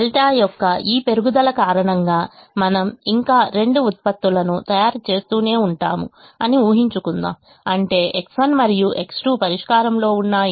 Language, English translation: Telugu, we are also going to make an assumption that, because of this increase of delta, we will still continue to make both the products, which means x one and x two that were in the solution